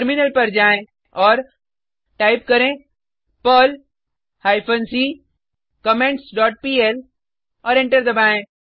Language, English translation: Hindi, Switch to the Terminal, and type perl hyphen c comments dot pl and press Enter